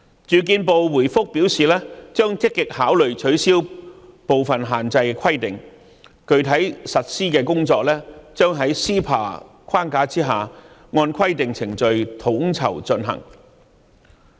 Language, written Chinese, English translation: Cantonese, 住建部回覆表示將積極考慮取消部分限制，具體實施的工作將在 CEPA 框架下，按規定程序統籌進行。, The Ministry replied that they will actively consider lifting some of the restrictions and that the specific arrangements will be coordinated and implemented in accordance with the prescribed procedures under the framework of CEPA